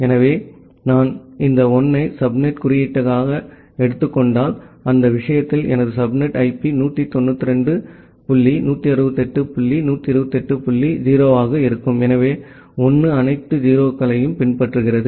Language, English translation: Tamil, So, if I take this 1 as the subnet indicator, so in that case my subnet IP comes to be 192 dot 168 dot 128 dot 0, so 1 followed by all 0s